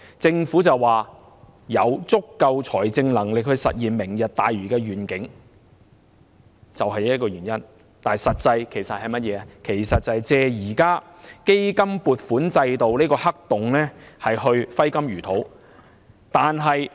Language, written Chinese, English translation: Cantonese, 政府聲稱有足夠財政能力實現"明日大嶼願景"，但實際是藉現時基金撥款制度的黑洞去揮金如土。, The Government claimed to have sufficient financial capacity to implement the Lantau Tomorrow Vision but in fact it is taking advantage of the black hole in the existing appropriation system to squander money